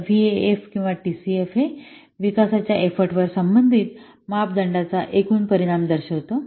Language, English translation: Marathi, So this VIF or this T CF, it expresses the overall impact of the corresponding parameter on the development effort